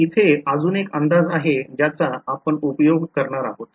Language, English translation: Marathi, So, here is another approximation that I will tell you I mean that I will use